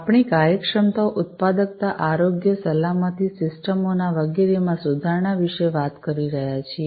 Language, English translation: Gujarati, So, we are talking about improvement of efficiency, productivity, health, safety, etcetera of the systems